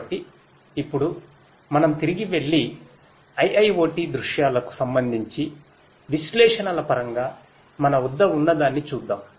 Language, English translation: Telugu, So, let us now go back and have a look at what we have in terms of analytics with respect to IIoT scenarios